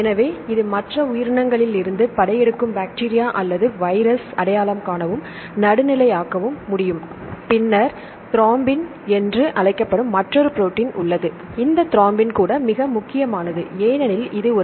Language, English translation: Tamil, So, this can recognize and precipitate or neutralize the invading bacteria or virus from the other species then there is another protein called thrombin right this thrombin is also very important because it is a